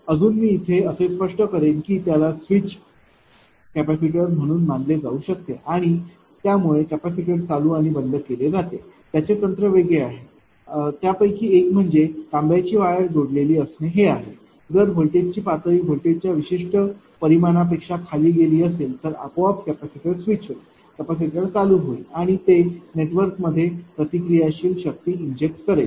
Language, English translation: Marathi, When load later I will try to explain you something such that those can be treated as a switch capacitor and it switch capacitor at a ah different ah your what you call that switch on and off that technique is different one is that ah copper wire is connected; if you see the voltage level has gone below certain ah magnitude of the voltage then automatically capacitor will be switch capacitor will be switched on right and it will inject reactive power into the network